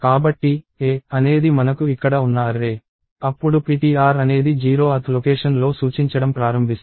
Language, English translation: Telugu, So, if ‘a’ is, this array that we have here, then ptr starts pointing at the 0th location